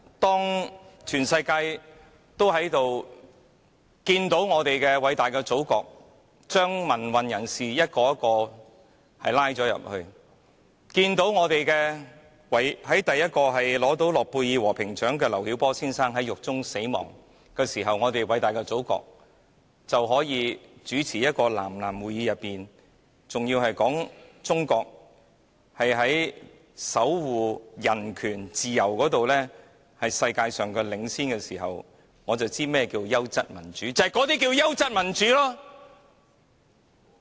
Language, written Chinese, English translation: Cantonese, 當全世界都看到我們偉大的祖國將一個又一個民運人士拘捕；當中國首位諾貝爾和平獎得主劉曉波先生在獄中死亡，而我們偉大的祖國卻在一個南南會議上說中國在守護人權和自由方面領先世界時，我便知道何謂"優質民主"。, When the whole world saw our great Motherland arresting one democracy activist after another; when Chinas first Nobel Peace Prize Laureate Mr LIU Xiaobo died in prison while our great Motherland said at a South - South Conference that China was leading the world in the area of safeguarding human rights and freedom the meaning of quality democracy became clear to me